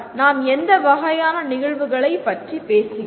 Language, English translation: Tamil, What type of events are we talking about